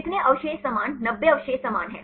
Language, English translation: Hindi, How many residues are same 90 residues are same